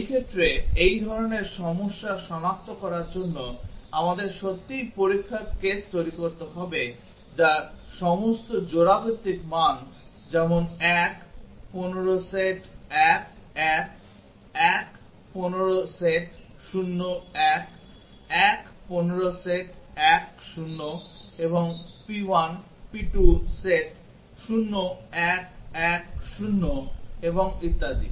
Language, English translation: Bengali, In that case to detect this kind of problem we need to really generate test cases which cover all pair wise values like 1 15 set to 1 1, 1 15 set to 0 1, 1 15 set to 1 0 and p 1, p 2 set to 0 1 1 0 and so on